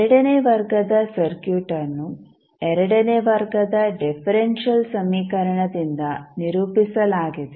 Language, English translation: Kannada, So, second order circuit is characterized by the second order differential equation